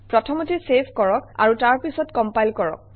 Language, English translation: Assamese, You save first, and then compile it